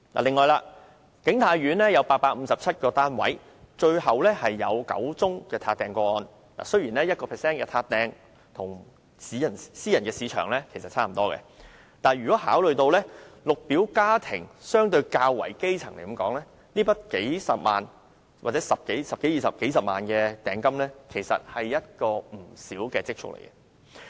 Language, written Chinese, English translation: Cantonese, 此外，景泰苑有857個單位，最後有9宗"撻訂"個案，雖然 1% 的"撻訂"比例與私人市場相若，但考慮到綠表家庭相對較為基層，這筆數十萬元，或10多萬元、20多萬元的訂金，其實是不少的積蓄。, Besides out of a total of 857 units available in King Tai Court there were ultimately nine cases of prospective owners forfeiting their deposits paid . Even though it amounts to just 1 % of the total similar to that in the private market it involves a sum of hundreds of thousands of dollars or some 100,000 to 200,000 in deposit which to a Green Form family with relatively limited means is a lot of savings indeed